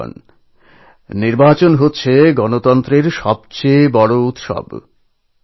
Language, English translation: Bengali, Friends, elections are the biggest celebration of democracy